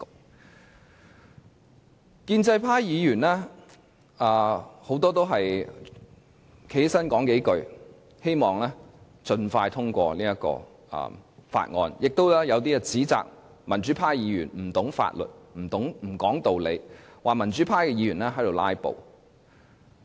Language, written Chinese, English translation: Cantonese, 很多建制派議員站起來發言也只是說三數句，希望盡快通過《條例草案》，他們也有一些指責民主派議員不懂法律、不說道理，說民主派議員"拉布"。, Most of the pro - establishment Members who have risen to speak on the Bill are brief in their speeches mainly expressing their hope that the Bill could be passed expeditiously . Some have criticized democratic Members for ignorance of the law for the unreasonableness and the pursuit of filibustering